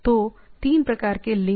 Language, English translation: Hindi, So, three types of link